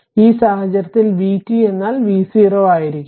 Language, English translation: Malayalam, So, in that case v t will be 0 right